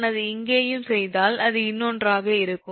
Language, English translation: Tamil, if we make it here and here, ah, it will be another one